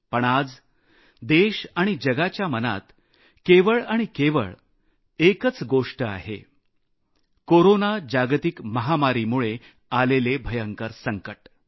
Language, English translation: Marathi, But today, the foremost concern in everyone's mind in the country and all over the world is the catastrophic Corona Global Pandemic